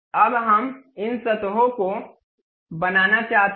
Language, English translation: Hindi, Now, we want to really mate these surfaces